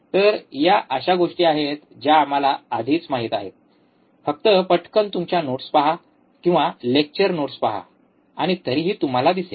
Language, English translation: Marathi, So, these are the things we already know so, just quickly look at your notes, or look at the lecture notes, and you will see anyway